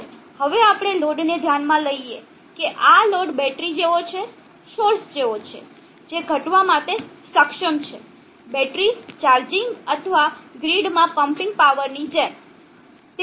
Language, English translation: Gujarati, Let us now consider the load such that this load is like a battery, like a source which is capable of sinking, in the battery charging or pumping power into the grid